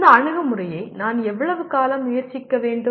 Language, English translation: Tamil, How long should I try this approach